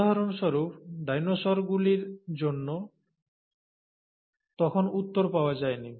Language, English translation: Bengali, For example, for dinosaurs, and answer was not available then